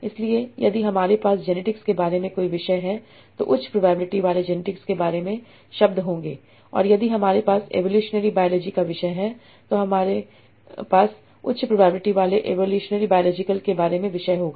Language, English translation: Hindi, So if you have a topic about genetics, this will have words about genetics with high probability and if we have a topic of evolutionary biology, it will a topic about evolutionary biology with high probability